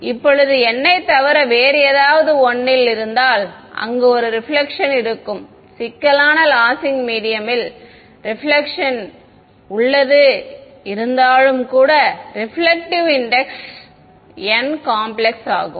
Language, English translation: Tamil, Now, if n is anything other than 1 there is a reflection even if it is complex right for losing medium the reflective index n becomes complex